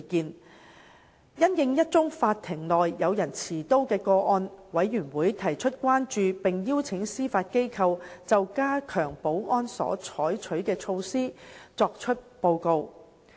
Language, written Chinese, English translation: Cantonese, 而因應一宗法庭內有人持刀的個案，事務委員會提出關注並邀請司法機構就加強保安所採取的措施作出報告。, The Panel expressed concern over the case of a man taking out a chopper in the courtroom and invited the Judiciary to report on the enhanced security measures